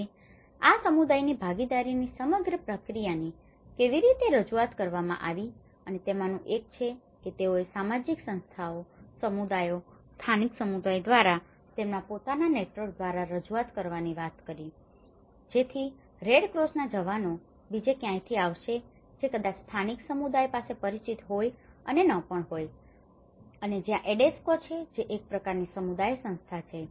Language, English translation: Gujarati, Now, how this whole process the community participation has been approached one is, they talked about approaching through the social organizations, the communities, the local communities through their own networks so, because the Red Cross personnel will be coming from somewhere else who may or may not be familiar with the local communities and that is where the Adesco which is a kind of community organizations